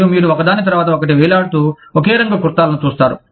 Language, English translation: Telugu, And, you will see the same colored kurtas, hanging one after the other